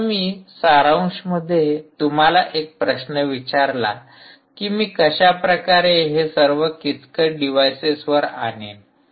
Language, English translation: Marathi, now, in summary, you may now ask a question: how am i going to pull off all this on very constrained devices